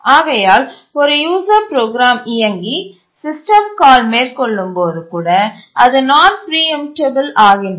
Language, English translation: Tamil, And therefore, even when a user program is running and makes a system call, it becomes non preemptible